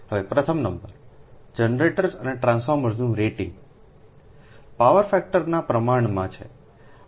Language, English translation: Gujarati, now, number one: the rating of generators and transformers are inversely proportional to the power